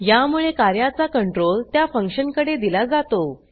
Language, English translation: Marathi, Then, the execution control is passed to that function